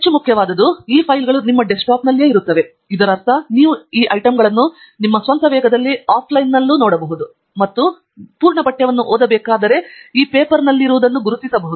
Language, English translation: Kannada, what is more important is that these files reside on your desktop, which means that you can go through these items at your own pace offline and identify those are among these papers where you want to read the full text